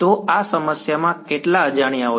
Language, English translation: Gujarati, So, how many unknowns are in this problem